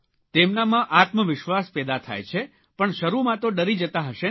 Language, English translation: Gujarati, So they have their confidence restored after being scared initially